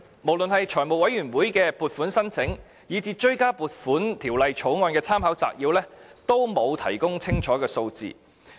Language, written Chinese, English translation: Cantonese, 無論是向財委會的撥款申請，以至《條例草案》的立法會參考資料摘要，均沒有提供清楚的數字。, A detailed breakdown was neither provided in the funding application to the Finance Committee nor in the Legislative Council Brief on the Bill